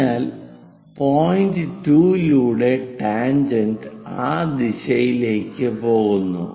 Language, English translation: Malayalam, So, tangent through 2 point goes in that direction